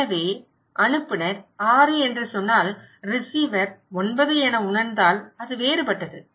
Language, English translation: Tamil, So, if the sender is saying 6 and receiver perceives as 9 is different right